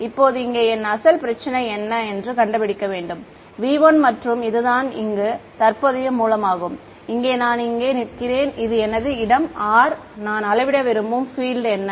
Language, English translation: Tamil, So, now, we know pretty much everything if I want to find out now this was my original problem over here; v 1 and this is the current source over here I am standing over here this is my location r what is the field that I want to measure